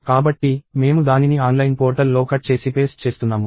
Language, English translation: Telugu, So, I am cutting and pasting it into the online portal